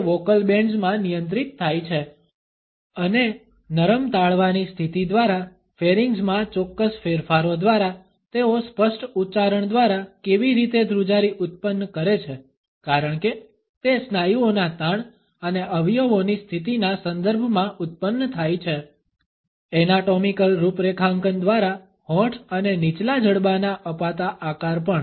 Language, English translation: Gujarati, It is controlled in the vocal bands and how do they vibrate by certain changes in the pharynges by the position of the soft palate, by the articulation as it is produced in terms of muscular tension and position of the organs, also by the anatomical configuration shaping of the lips and the lower jaw